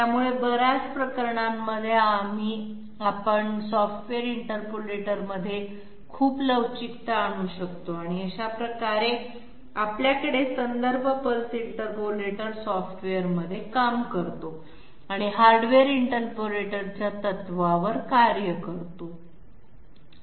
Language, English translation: Marathi, So in many cases we can we can have lot of flexibility in the software interpolators and that way we have the reference pulse interpolator working in in software and working on the principle of the hardware interpolator